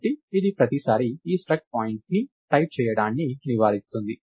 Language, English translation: Telugu, So, it avoids typing this struct point every time